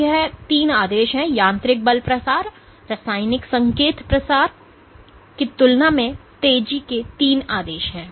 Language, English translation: Hindi, So, this is three orders mechanical force propagation is three orders of magnitude faster than chemical signal propagation ok